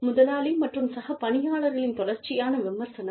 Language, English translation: Tamil, Constant criticism, by boss and co workers